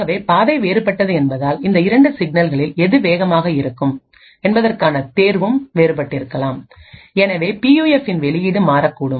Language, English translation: Tamil, Since the path is different, the choice between which of these 2 signals is faster may also be different, and therefore the output of the PUF may also change